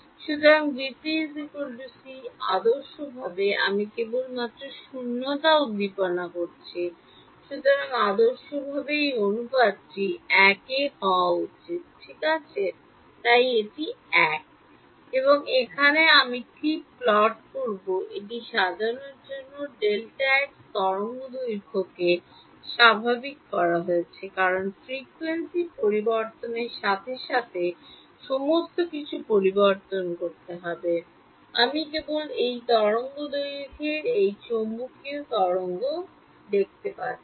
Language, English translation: Bengali, So, v phase by c ideally, I am just stimulating vacuum only; so, ideally this ratio should be 1 right so, this is 1, and here what I will plot is delta x to make it sort of normalized to wave length because as a frequency changes, everything delta x will have to change I will just do this the wave length that this electromagnetic wave is going